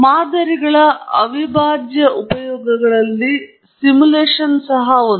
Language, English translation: Kannada, One of the prime uses of models is also in simulations